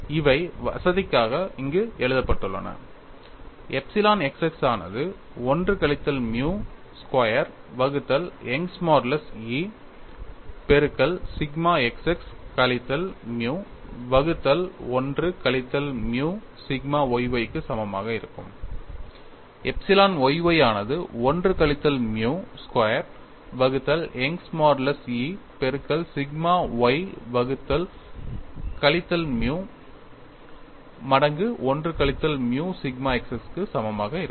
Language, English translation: Tamil, And you all know the stress strain relations, these are written here for convenience, epsilon x x equal to 1 minus nu squared divided by Young's modulus E multiplied by sigma x x minus nu by 1 minus nu sigma y y; epsilon y y equal to 1 minus nu square divided by Young's modulus multiplied by sigma y by minus nu times 1 minus nu sigma x x